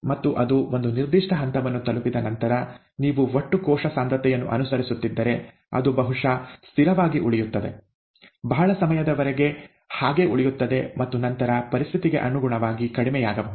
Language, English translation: Kannada, And after it has reached a certain stage, if you are following the total cell concentration, it will probably remain , remain the same for a large period of time and then probably go down depending on the situation